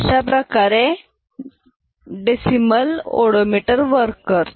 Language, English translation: Marathi, So, this is how odometer decimal odometer works